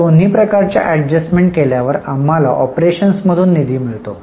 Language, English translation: Marathi, Now, after making both types of adjustments, we get fund from operations